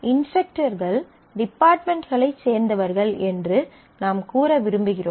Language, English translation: Tamil, So, we want to say that the instructors belong to certain departments